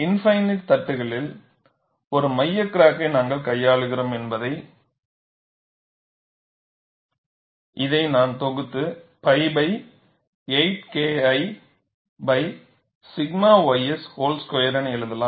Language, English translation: Tamil, Since we are handling a center crack in an infinite plate, I can bundle this and write this as pi by 8 K 1 by sigma ys whole square